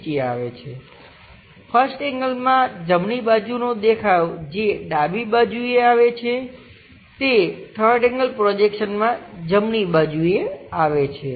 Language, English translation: Gujarati, In 1st angle, the right side view which comes on left side comes as right side for the3rd angle projection